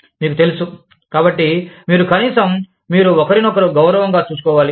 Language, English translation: Telugu, You know, so, you must at least, you must treat each other, with respect